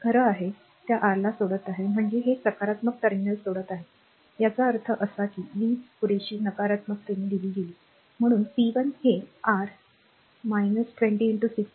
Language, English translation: Marathi, So, it is actually leaving that your what you call that leaving this plus terminal; that means, power supplied convulsively negative therefore, p 1 will be your minus 20 into 6